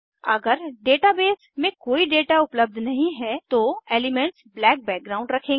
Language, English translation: Hindi, If no data is available in the database, the element will have a black background